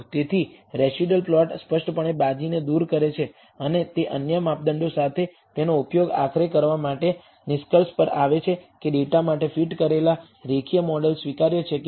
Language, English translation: Gujarati, So, the residual plot clearly gives the game away, and it should be used along with other measures in order to finally, conclude that the linear model that were fitted for the data is acceptable or not